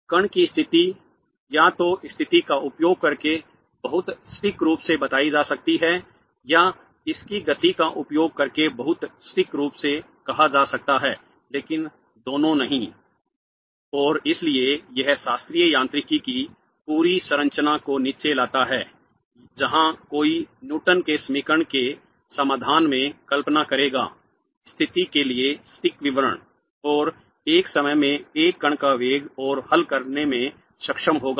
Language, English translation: Hindi, The state of the particle can either be very precisely stated using the position or very precisely stated using its momentum but not both and therefore this brings down the whole structure of classical mechanics where one would imagine in the solution of the Newton's equation the precise statement for the position and velocity of a particle at one instant of time and be able to solve